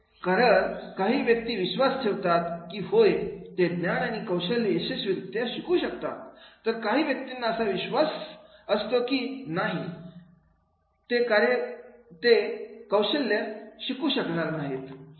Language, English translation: Marathi, Why some people believe that is yes they can successfully learn knowledge and skill while some people believe that no they cannot learn knowledge and skills